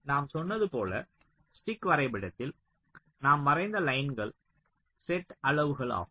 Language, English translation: Tamil, so, so in stick diagram, as i have said, so the lines that we draw, they are set sizes